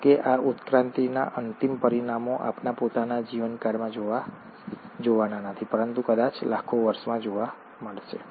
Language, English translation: Gujarati, However, the end results of these evolutions are not going to be seen in our own lifetimes, but probably in millions of years down the line